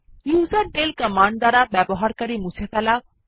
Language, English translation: Bengali, userdel command to delete the user account